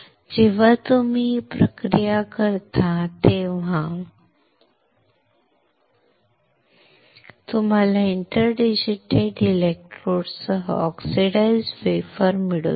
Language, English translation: Marathi, When you perform this process then you are able to get the oxidized wafer with inter digitated electrodes